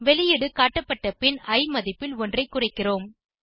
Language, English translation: Tamil, After the output is displayed, we decrement the value of i by 1